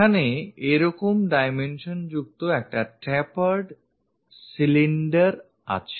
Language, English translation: Bengali, There is a tapered cylinder having such dimensions